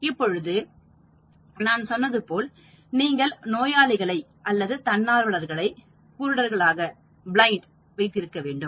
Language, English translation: Tamil, Now, as I said you need to keep the patients or volunteers blind